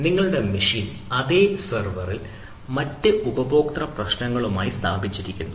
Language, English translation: Malayalam, so your machine is placed in the same server with other customer